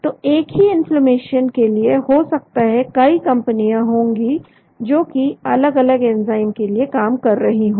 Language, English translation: Hindi, So for same inflammation there could be many companies working towards different enzymes